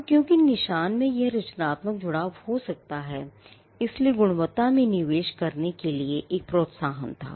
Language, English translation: Hindi, Now, because marks can have this creative association, there was an incentive to invest in quality